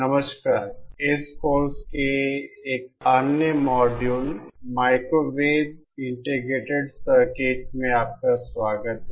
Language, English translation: Hindi, Hello, welcome to another module of this course Microwave Integrated Circuits